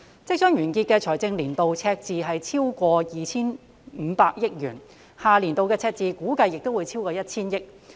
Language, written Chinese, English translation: Cantonese, 即將完結的財政年度的赤字超過 2,500 億元，下年度的赤字估計也會超過 1,000 億元。, The fiscal year ending soon has a deficit of over 250 billion and next years deficit is estimated to be over 100 billion